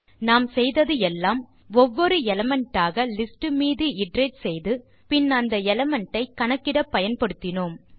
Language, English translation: Tamil, All what we did was iterate over the list element by element and then use the element for calculation